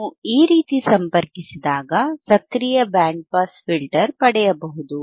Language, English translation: Kannada, wWhen you connect like this, you can get an active band pass filter